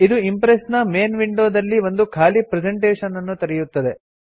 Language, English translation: Kannada, This will open an empty presentation in the main Impress window